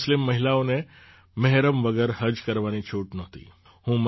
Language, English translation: Gujarati, Earlier, Muslim women were not allowed to perform 'Hajj' without Mehram